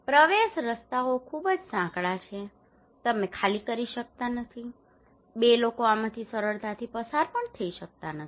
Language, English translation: Gujarati, Access roads are very narrow; you cannot evacuate, two people cannot pass easily from this one